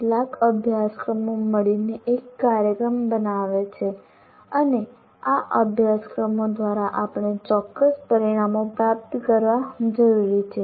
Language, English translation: Gujarati, Because several courses together form a program and through these courses you, it is we are required to attain certain outcomes